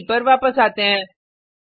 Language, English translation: Hindi, Come back to the IDE